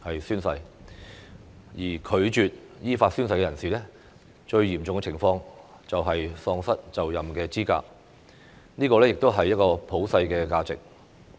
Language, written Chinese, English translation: Cantonese, 如任何人士拒絕依法宣誓，最嚴重的後果是喪失就任資格，這亦是普世價值。, If a person declines to take the oath in accordance with the law the most serious consequence is disqualification from office which is also a universal value